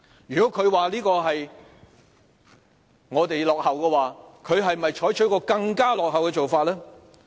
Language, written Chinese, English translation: Cantonese, 如果他說這是我們落後，他是否採取更落後的做法？, If he says our practice is outdated can I ask him whether what he proposes is even more so?